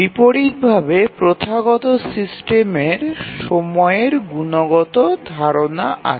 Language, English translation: Bengali, In contrast in a traditional system we have the notion of a qualitative notion of time